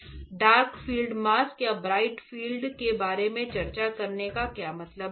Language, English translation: Hindi, Now what is point of discussing about dark field or bright field right